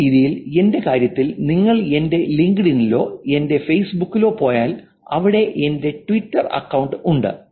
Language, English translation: Malayalam, Same way in my case if you go, I think my LinkedIn or my Facebook has my Twitter account also there